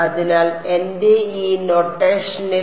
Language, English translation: Malayalam, So, in my in this notation it's N 1